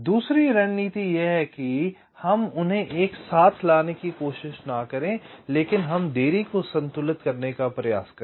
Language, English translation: Hindi, the second strategy is that, well, let us not not try to bring them close together, but let us try to balance the delays